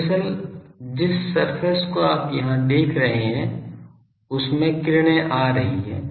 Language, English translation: Hindi, Actually, the surface you see here the rays are coming